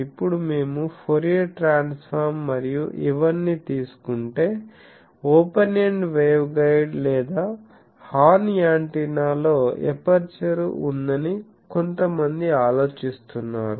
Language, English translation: Telugu, Now that we were taking Fourier transform and all these, but aperture there is some think of the open ended waveguide or horn antenna that there is an aperture